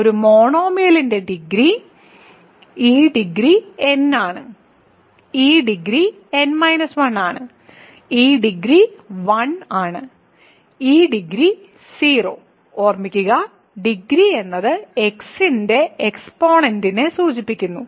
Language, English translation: Malayalam, Degree of a monomial is this degree is n, this degree is n minus 1, this degree is 1, this degree is 0 remember degree simply stands for the exponent of x